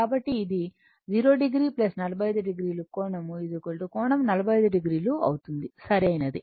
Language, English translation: Telugu, So, it will be 0 degree plus 45 degree angle is equal to angle 45 degree right